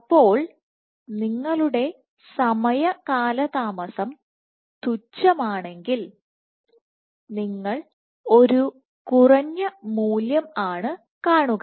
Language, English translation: Malayalam, So, if your time delay is negligible you would see a low value, let us say 10 percent